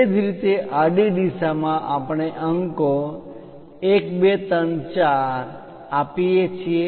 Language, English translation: Gujarati, Similarly, in the horizontal direction we see numerals 1, 2, 3 and 4